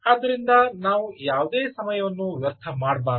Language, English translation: Kannada, so, ah, let us not waste any time